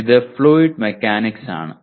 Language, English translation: Malayalam, This is fluid mechanics